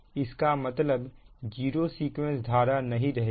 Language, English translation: Hindi, so zero sequence